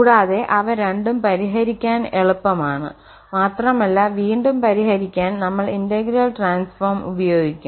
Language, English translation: Malayalam, And in either both of them are easy to solve and then we apply the integral transform to get the solution again